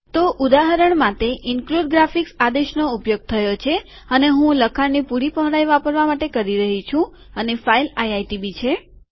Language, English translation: Gujarati, So for example, include graphics command is used and Im saying that use the complete width of the text and the file is iitb